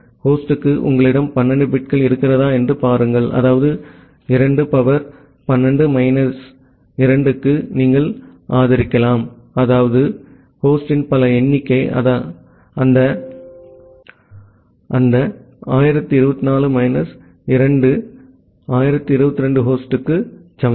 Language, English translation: Tamil, See if you have 12 bits for host that means, you can support 2 to the power 12 minus 2, this many number of host that means, equal to 1024 minus 2 1022 number of host